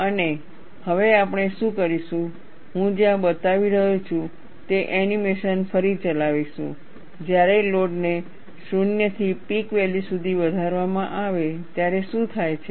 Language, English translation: Gujarati, And what we will do now is, we will replay the animation, where I am showing, what happens when load is increased from 0 to the peak value